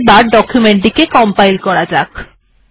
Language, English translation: Bengali, So now lets proceed to compile our document